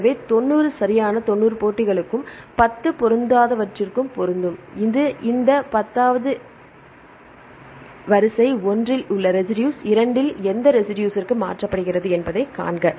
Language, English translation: Tamil, So, 90 will match right 90 matches and 10 mismatches and this takes this 10 and see the rate which residue in sequence 1 is mutated to which residue in 2